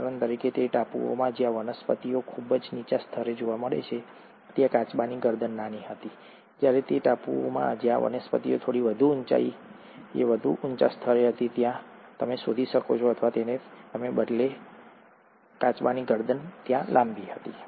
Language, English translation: Gujarati, For example, in those islands where the vegetations were found at a much lower level, the neck of the tortoises were smaller, while in those islands where the vegetations were slightly at a higher level at a higher height, you found, or he found rather that the tortoises had a longer neck